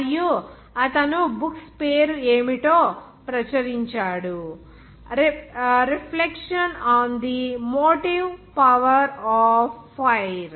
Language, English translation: Telugu, And he published that books what was the name was that the reflections on the motive power of fire